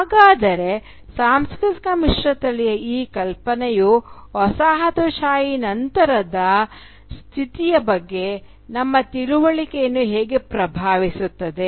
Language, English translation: Kannada, So how does this notion of cultural hybridity impact our understanding of the postcolonial condition